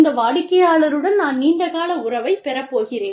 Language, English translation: Tamil, I am going to have, a long term relationship with this customer